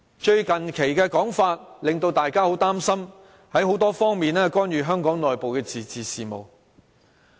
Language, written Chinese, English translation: Cantonese, 最近的說法令大家很擔心，中央會在多方面干預香港內部的自治事務。, It has recently been said that the Central Authorities will intervene in the autonomy of Hong Kong in various aspects . That is worrying indeed